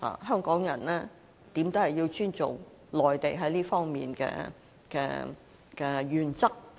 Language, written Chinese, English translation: Cantonese, 香港人始終要尊重內地在這方面的原則。, After all Hong Kong people have to respect the Mainlands principles in this regard